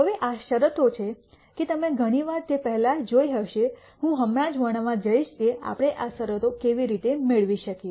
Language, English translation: Gujarati, Now, these are conditions that you have seen many times before I am just going to quickly describe how we derive these conditions